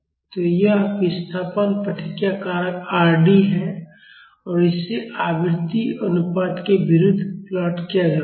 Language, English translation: Hindi, So, this is the displacement response factor Rd and it is plotted against the frequency ratio